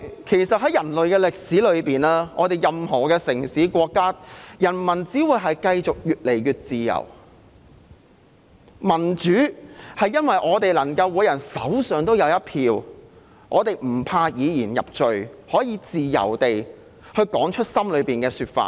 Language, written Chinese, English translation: Cantonese, 其實，在人類的歷史中，任何城市和國家的人民只會越來越自由，民主是每人手上都有一票，不怕以言入罪，可以自由地說出心裏的想法。, As a matter of fact in the history of mankind people in any city and country will only enjoy more and more freedom . Democracy means everyone has a vote and does not have to worry about being persecuted for his opinion . Everyone may express their views freely